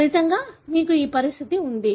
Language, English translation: Telugu, As a result, you have this condition